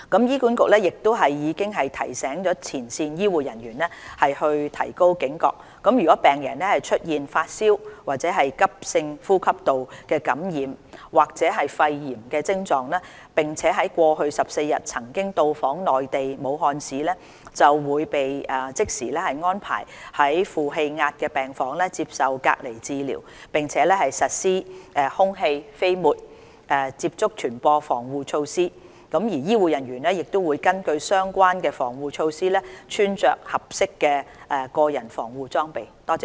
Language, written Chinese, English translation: Cantonese, 醫管局已提醒前線醫護人員提高警覺，如病人出現發燒、急性呼吸道感染或肺炎徵狀，並在過去14日內曾到訪內地武漢市，會被即時安排在負氣壓病房接受隔離治療，並實施空氣、飛沫及接觸傳播防護措施，醫護人員會根據相關防護措施穿着合適的個人防護裝備。, HA has reminded frontline health care staff to pay special attention . Patients with the presentation of fever and acute respiratory infection or pneumonia who have been to Wuhan within 14 days before the onset of symptoms would immediately be sent to negative pressure isolation room for treatment . Airborne droplet and contact precautions would be implemented on these cases and health care staff would wear appropriate personal protective equipment with regard to relevant precautionary measures